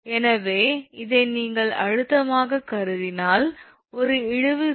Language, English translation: Tamil, So, this one what you call stress a tensile load is given 125 kilo Newton